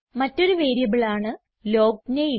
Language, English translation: Malayalam, Another interesting variable is the LOGNAME